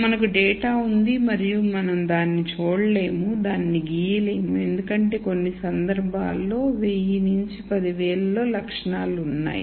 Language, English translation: Telugu, So, we have data and we cannot see it we cannot plot it because there are attributes in the 1000’s 10000’s in some cases